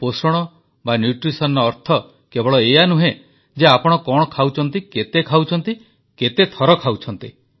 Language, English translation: Odia, And nutrition merely does not only imply what you eat but also how much you eat and how often you eat